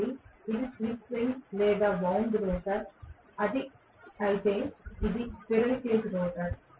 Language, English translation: Telugu, So, this is slip ring or wound rotor, whereas this is squirrel cage rotor okay